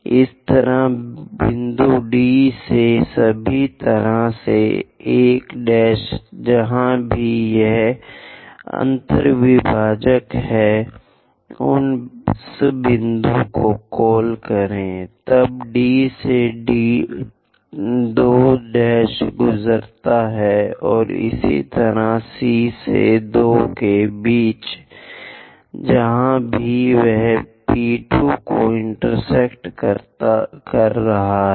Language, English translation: Hindi, Similarly, from point D, all the way through 1 prime, wherever it is intersecting, call that point; then from D go via 2 prime, and similarly C via 2 wherever it is intersecting P 2